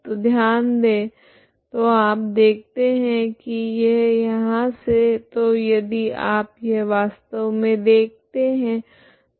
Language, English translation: Hindi, So closely observed you see this this is from so if you actually see this one, okay